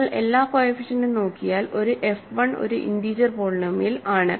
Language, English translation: Malayalam, It is an integer if and only if f is a integer polynomial